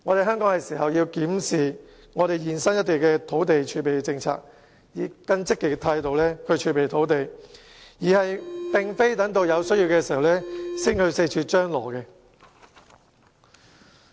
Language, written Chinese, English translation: Cantonese, 香港是時候檢視土地儲備政策，並以更積極的態度儲備土地，而不是等到有需要時才四處張羅。, It is now time for Hong Kong to review its land reserve policy and step up its effort in reserving land instead of identifying land here and there when such a need arises